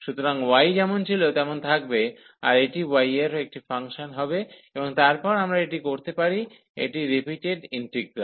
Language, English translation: Bengali, So, the y will remain as it is so this will be a function of y and then we can so this is a repeated integral